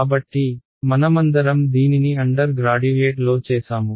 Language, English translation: Telugu, So, we have all done this in undergraduate right